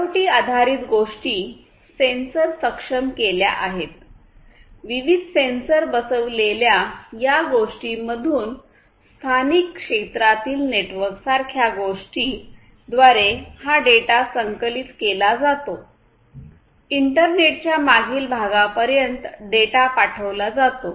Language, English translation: Marathi, So, IoT based things sensor enabled; this data that are collected from these the things which are fitted with different sensors, these will then transmit that collected data through something like a local area network; then sent that data further through the internet to the back end